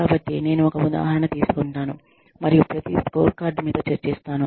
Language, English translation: Telugu, So, if, i will take one example, and i will discuss, each scorecard with you, on that